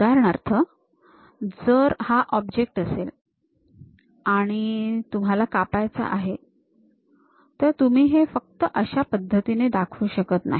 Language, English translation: Marathi, For example, if the object is this; you want to cut, you do not just show it in that way